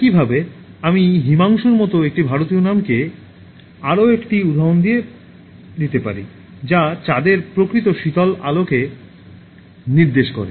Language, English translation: Bengali, Similarly, I can give another example an Indian name like Himanshu, which actually indicates the moon radiating cool light